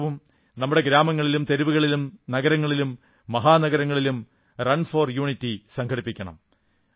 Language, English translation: Malayalam, Even this year, we should try to organize 'Run for Unity' in our village, town, city or metropolis